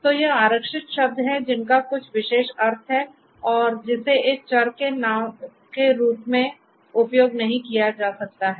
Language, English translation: Hindi, So, these you know there is this reserved you know words which have some special meaning and which cannot be used as a variable name